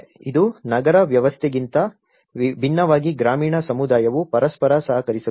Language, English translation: Kannada, It’s unlike an urban setup the rural community cooperate with each other